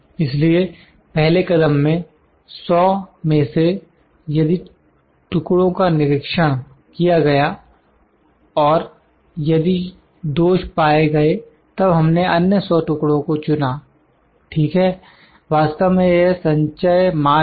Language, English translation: Hindi, So, in the first step out of 100, if the pieces are inspected and if defects are found then we select the other 100 pieces, ok this is cumulative actually